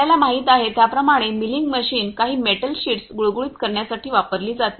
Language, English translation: Marathi, Milling machine as you know are used for smoothing of some metal sheets